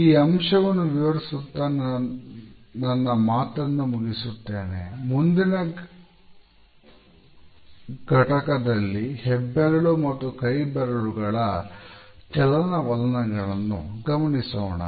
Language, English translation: Kannada, I would close this discussion at this point, in our next module we will take up the movement of the fingers as well as thumb